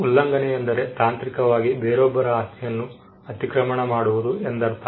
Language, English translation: Kannada, Infringement technically means trespass is getting into the property of someone else